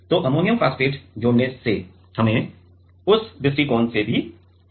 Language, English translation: Hindi, So, adding ammonium phosphate also gives us a advantage from that perspective